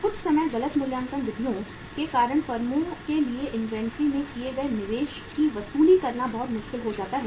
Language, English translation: Hindi, Sometime because of the wrong valuation methods it becomes very difficult for the firms to recover the investment they have made in the inventory